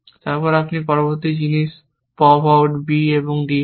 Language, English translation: Bengali, Then, you pop the next thing out on b d